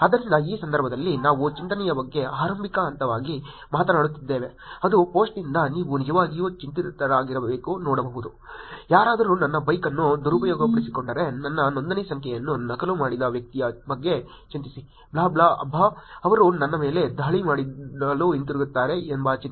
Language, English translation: Kannada, So, in this case, we are talking about worried as the starting point which is from the post you can actually look at worried, if somebody will misuse my bike, worried at the person who is duplicated my registration number will commit, blah, blah, blah, worried about they coming back to attack me